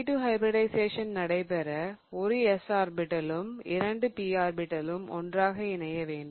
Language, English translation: Tamil, So, in order to do SP2 hybridization, remember I have to take one of the S orbitals and two of the P orbitals